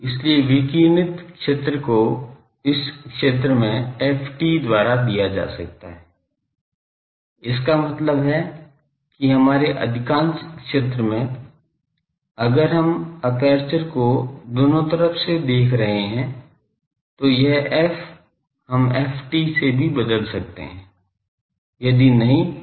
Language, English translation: Hindi, So, radiated field can be given nearly by ft in this region and this so; that means, in most of our zone of interest if we are looking both side to the aperture, then this f, we can replace by ft also if not then we will have to do